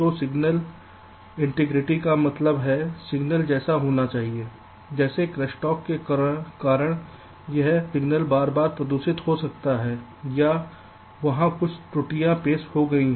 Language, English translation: Hindi, so signal integrity means the signal what is suppose to be, but because of crosstalk this signal is getting frequency polluted or there is some error introduced there in